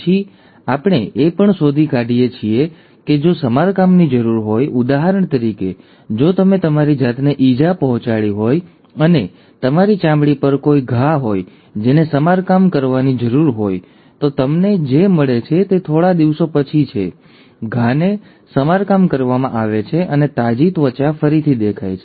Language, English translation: Gujarati, Then, we also find that if there is a need for repair, for example, if you have injured yourself and there is a wound on your skin that needs to be repaired, what you find is after a few days, the wound gets repaired and a fresh skin reappears